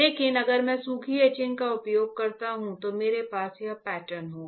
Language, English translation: Hindi, But if I use dry etching; if I use dry etching, then I will have this pattern